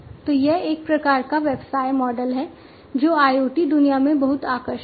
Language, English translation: Hindi, So, this is a kind of business model that is very attractive in the IoT world